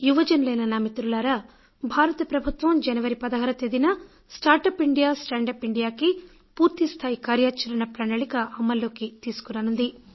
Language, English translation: Telugu, My dear young friends, the government will launch the entire action plan for "Startup India, Standup India on 16th January